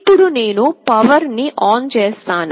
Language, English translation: Telugu, Now, I switch on the power